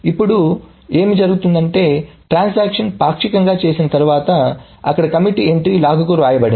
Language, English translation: Telugu, Okay, after the transaction partially commits, the commit T entry is written to the log